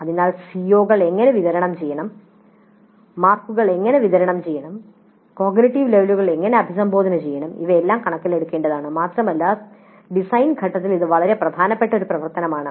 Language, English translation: Malayalam, So how how the COs are to be distributed, how the marks are to be distributed, how the cognitive levels are to be as addressed, all these things must be taken into account and this is an extremely important activity to be carried out during the design phase